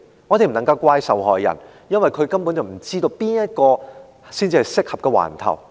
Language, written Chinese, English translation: Cantonese, 我們不能怪責受害人，因為他根本不知道哪個警區才是適當的警區。, We cannot blame the victims for that because they have no idea which police district is the right one